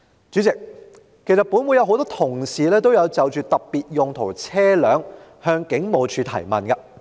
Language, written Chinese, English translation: Cantonese, 主席，其實本會很多同事也曾就特別用途車輛向警務處提問。, Chairman in fact many Honourable colleagues of this Council have raised questions to the Police Force about specialized vehicles